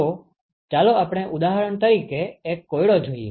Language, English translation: Gujarati, So, let us look at an example problem